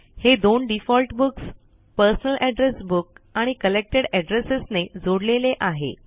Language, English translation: Marathi, This is in addition to the two default books, that is, Personal Address Book and Collected Addresses